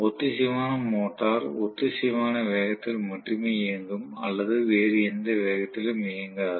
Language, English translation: Tamil, That is the way it is going to function, the synchronous motor will run at synchronous speed or will not run at all at any other speed